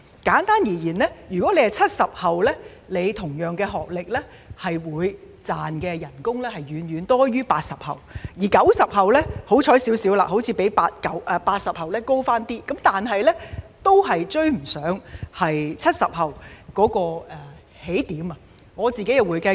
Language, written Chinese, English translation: Cantonese, 簡單而言，有相同學歷的 "70 後"所賺的薪金遠遠多於 "80 後"，而 "90 後"則較幸運，似乎比 "80 後"略高，但仍然未能追及 "70 後"的起點。, Simply put the post - 70s with the same qualification earn much more than the post - 80s whereas the post - 90s are luckier as they appeared to earn more than the post - 80s but they still fail to match up with the starting point of the post - 70s